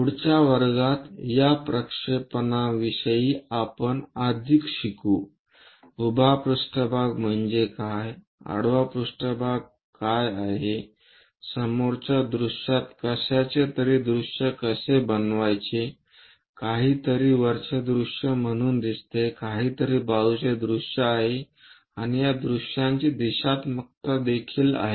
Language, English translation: Marathi, In the next class onwards we will learn more about these projections like; what is vertical plane, what is horizontal plane, how to visualize something in front view something as top view, something as side view and the directionality of these views